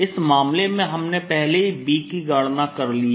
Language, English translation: Hindi, in this case, we have already calculated b